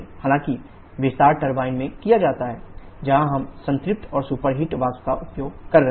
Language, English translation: Hindi, However, the expansion is done in the turbine where we are using saturated and superheated vapour